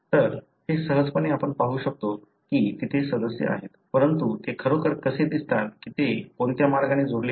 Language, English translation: Marathi, So, this easily you can see that there are members, but how do you really see in which way they are connected